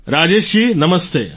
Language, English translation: Gujarati, Rajesh ji Namaste